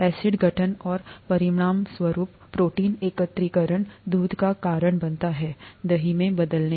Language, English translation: Hindi, Acid formation and as a result, protein aggregation is what causes milk to turn into curd